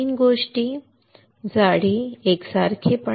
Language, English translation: Marathi, 3 things thickness uniformity